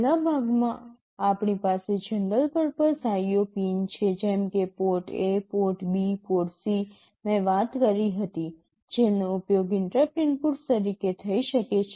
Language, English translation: Gujarati, In the first section we have the general purpose IO pins like the port A, port B, port C I talked about which can be used as interrupt inputs